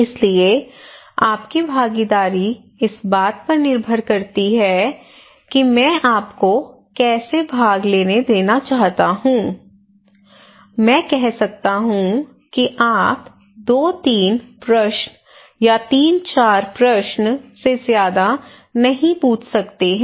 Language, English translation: Hindi, So your participation depends on that how I want you to participate maybe I can say okay you can ask two three questions you can ask three four questions that is it